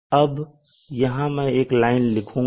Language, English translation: Hindi, And this other line here is